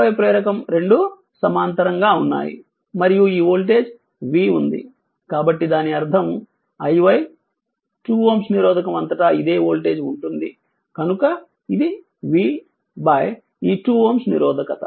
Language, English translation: Telugu, 5 ah inductor both are in parallel right and this voltage is say v so that means, R i y will be this same voltage across a 2 ohm resistor, so it is V by this 2 ohm resistance right